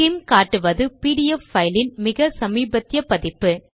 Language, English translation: Tamil, Skim shows the latest version of the opened pdf file